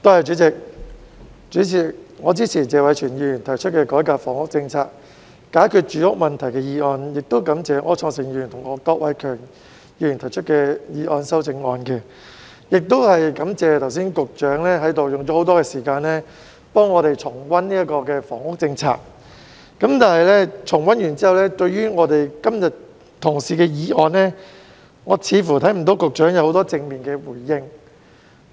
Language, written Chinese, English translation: Cantonese, 主席，我支持謝偉銓議員提出的"改革房屋政策，解決住屋問題"議案，感謝柯創盛議員及郭偉强議員提出修正案，亦感謝局長剛才用了很多時間替我們重溫房屋政策，但重溫完畢後，我似乎看不到局長對今天的議案有很多正面回應。, President I support the motion on Reforming the housing policy to resolve the housing problem proposed by Mr Tony TSE . I am grateful to Mr Wilson OR and Mr KWOK Wai - keung for proposing their amendments and I also thank the Secretary for spending a lot of time to recap the housing policy for us just now . But after the recap it seems I cannot find many positive responses from the Secretary to todays motion